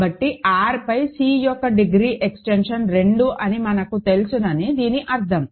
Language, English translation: Telugu, So, this means note that we know the degree extension of C right over R this is 2